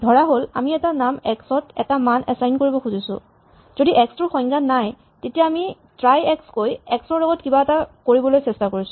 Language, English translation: Assamese, Supposing, we want to assign a vale to a name x only if x is undefined, then we can say try x so this is trying to do something with the x